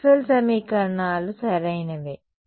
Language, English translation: Telugu, Maxwell’s equations right